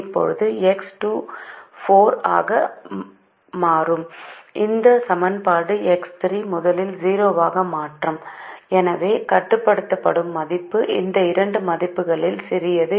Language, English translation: Tamil, so now, as x two becomes four, this equation will make x three come to zero first and therefore the limiting value is a smaller of the two values